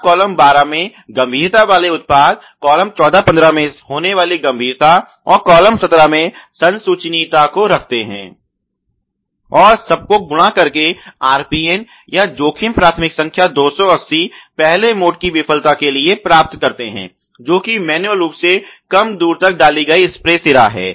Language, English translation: Hindi, And you make the product of the severity in a column 12, the occurrence in column 14, 15 and detect ability in the column 17 and multiply them to find RPN or a risk priority number of 280 for the first mode of failure which is manually inserted spray head not inserted far enough